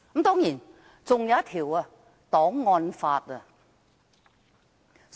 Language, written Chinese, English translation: Cantonese, 當然，還有一項檔案法。, Of course there is also the archives law case